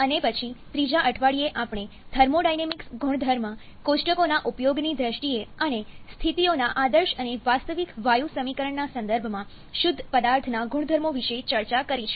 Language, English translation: Gujarati, And then in the third week, we have discussed about the properties of pure substance both in terms of the use of thermodynamics property tables and also in terms of the ideal and real gas equation of states